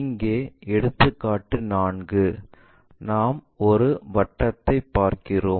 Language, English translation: Tamil, Here, as an example 4, we are looking at a circle